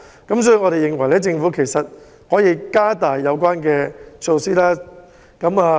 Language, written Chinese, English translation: Cantonese, 因此，我們認為政府可以延長及加大有關措施。, For this reason we consider that the Government can prolong and strengthen the measures